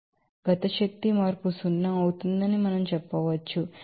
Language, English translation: Telugu, So, we can say that kinetic energy change will be zero